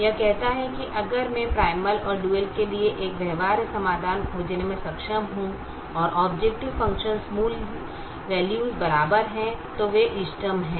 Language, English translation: Hindi, it says: if i am able to find a feasible solution to the primal and to the dual and the objective function values are equal, then they are optimal